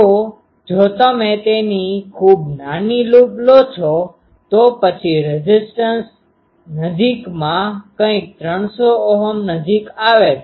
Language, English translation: Gujarati, So, if you take it very small loop, then you get impedance something nearer 300 Ohm